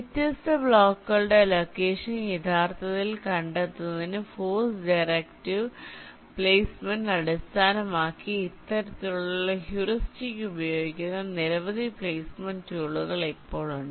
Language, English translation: Malayalam, now there has been a number of such placement tools which use this kind of heuristic, based on force directive placement, to actually find out the location for the different blocks